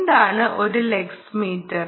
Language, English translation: Malayalam, ok, and what is a lux meter